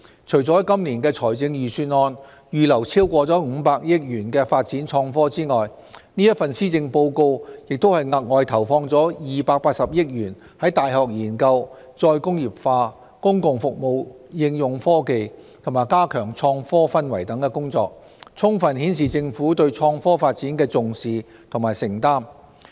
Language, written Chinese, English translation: Cantonese, 除了在今年的預算案預留超過500億元發展創科外，這份施政報告亦額外投放280億元在大學研究、再工業化、公共服務應用科技和加強創科氛圍等工作，充分顯示政府對創科發展的重視和承擔。, Apart from more than 50 billion earmarked in this years Budget for IT development this Policy Address has set aside an additional 28 billion for such work as university research re - industrialization application of technologies in public services and enhancing the atmosphere of IT . It fully demonstrates the importance attached by the Government and its commitment to IT development